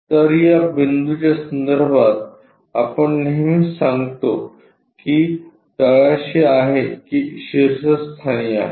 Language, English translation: Marathi, So, with respect to this point we always say whether it is at bottom or with a top